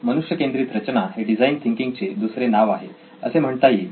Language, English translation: Marathi, Human centered design is an alternate name for design thinking